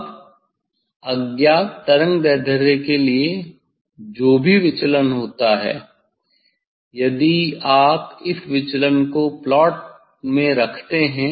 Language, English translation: Hindi, Now, for unknown wavelength whatever deviation that deviation if you put this deviation in the plot